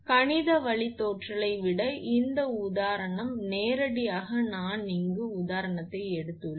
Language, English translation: Tamil, This example rather than mathematical derivation directly I have taken this example